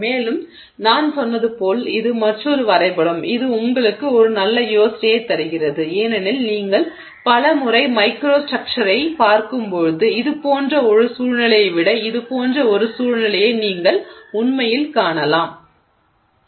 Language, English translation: Tamil, And like I said, this is another drawing which probably gives you a better idea because many times when you look at microstructure you may actually see situation like this rather than a very well defined situation like this